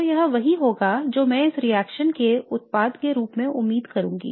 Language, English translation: Hindi, So this would be what I would expect as the product of this reaction